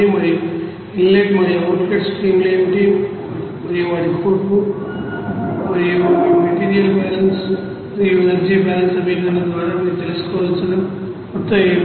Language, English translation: Telugu, And also what will be the inlet and outlet streams and what would be their composition and the amount that you have to find out by this material balance and energy balance equation